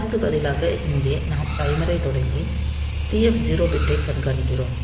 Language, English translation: Tamil, So, here instead of that we are starting the timer, and we are now monitoring the TF 0 bit